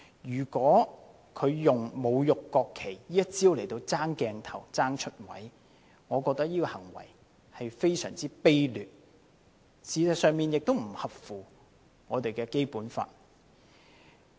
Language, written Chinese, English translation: Cantonese, 如果他用侮辱國旗這一招來爭鏡頭、爭"出位"，我覺得這種行為是非常卑劣，事實上亦不符合《基本法》。, I found his behaviour utterly despicable if he insulted the national flag for the sake of capturing the limelight and attracting media attention while also in fact violating the Basic Law